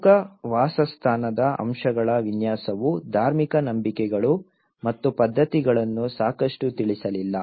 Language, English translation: Kannada, The design of the core dwelling aspects were not sufficiently address the religious beliefs and customs